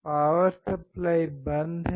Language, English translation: Hindi, The power supply is off